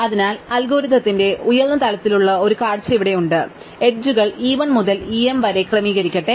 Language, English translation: Malayalam, So, here is a kind of high level view of the algorithm, so let the edges be sorted in order e 1 to e m